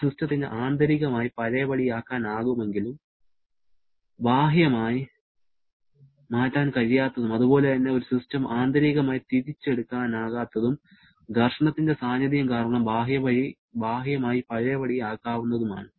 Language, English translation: Malayalam, It is possible for a system to be internally reversible but externally irreversible and similarly a system can be internally irreversible because of the presence of friction but maybe externally reversible